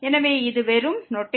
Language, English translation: Tamil, So, this is just the notation